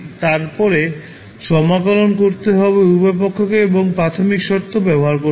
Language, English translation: Bengali, You have to integrate at both sides and use the initial condition